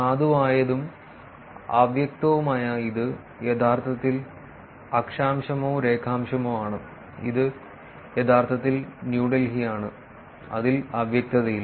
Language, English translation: Malayalam, Valid and ambiguous it is actually latitude or longitudinal, it is actually New Delhi; there is no ambiguity in it